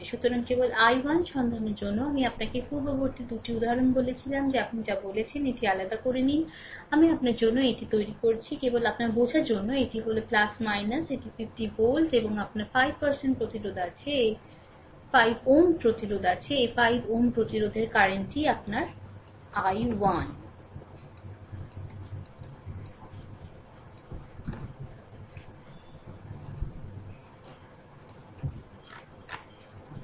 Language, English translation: Bengali, So, just for finding out the i 1, I told you previous 2 example also take this your what you call this separately, I making it for you just for your understanding this is plus minus right, this is 50 volt, right and you have 5 ohm resistance, this 5 ohm resistance current is your i 1